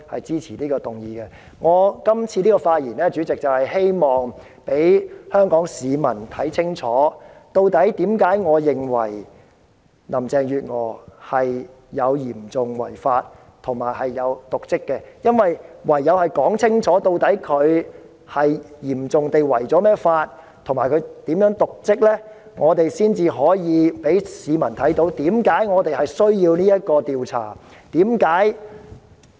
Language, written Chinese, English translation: Cantonese, 主席，我這次發言是希望讓香港市民看清楚，為甚麼我認為林鄭月娥有嚴重違法和瀆職行為，因為唯有清楚說明林鄭月娥如何嚴重違法及瀆職，才可以讓市民明白為甚麼要進行這項獨立調查。, President I am making this speech in the hope that the people of Hong Kong will see clearly why I think there is serious breach of law and dereliction of duty on the part of Carrie LAM . It is because unless a clear explanation is given on how Carrie LAM has seriously breached the law and committed dereliction of duty members of the public will not understand why it is necessary to conduct this independent investigation